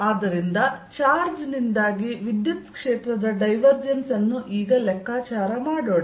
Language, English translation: Kannada, so let us know calculate the divergence of the electric field due to a charge